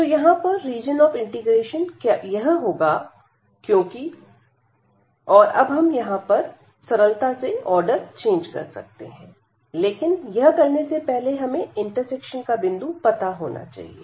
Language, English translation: Hindi, So, this is our region of integration and now we can easily change the order, but before we need to get what is this point of intersection